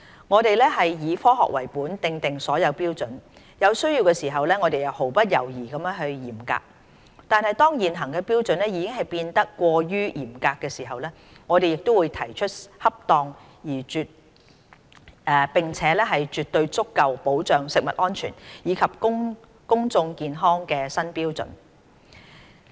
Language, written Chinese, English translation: Cantonese, 我們以"科學為本"訂定所有標準，有需要時我們毫不猶豫地嚴格執行，但當現行標準已變得過於嚴格時，我們亦會提出恰當並且絕對足夠保障食物安全，以及公眾健康的新標準。, We have established all standards on scientific grounds and when necessary we will effect stringent enforcement without hesitation . But when the existing standards have become excessively stringent we will propose new standards that are appropriate and definitely sufficient for protecting food safety and public health